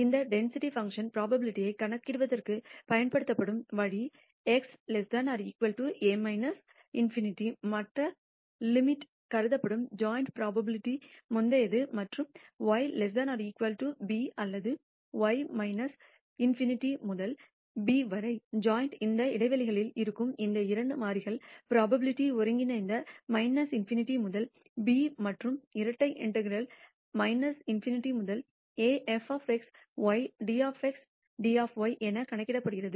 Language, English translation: Tamil, And the way this density function is used to compute the probability is as before the joint probability that x is less than or equal to a minus in nity being the other assumed to be the other limit and y less than or equal to b or y ranging from minus infinity to b, the joint probability of these two variables lying in these intervals is denoted as computed as the integral minus infinity to b and double integral minus infinity to a f of x y dx dy